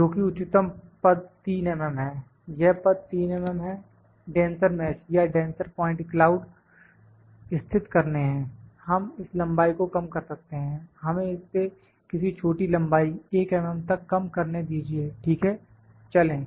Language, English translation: Hindi, That the maximum step is 3 mm, this step is 3 mm to locate a denser mesh or denser point cloud we can reduce this length, let us reduce this to some shorter length 1 mm, ok, Go